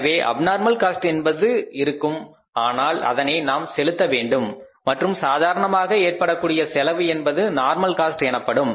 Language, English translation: Tamil, So if there is abnormal cost we have to pay that and normal cost we know is that what is the normal cost